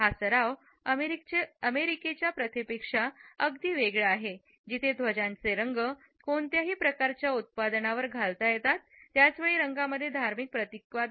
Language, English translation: Marathi, This practice is very different from the American practice where the colors of the flag can be worn on any type of a product at the same time colors also have religious symbolism